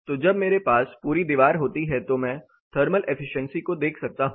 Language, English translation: Hindi, So, when I have a whole system when I have the whole wall then the thermal efficiency can be looked at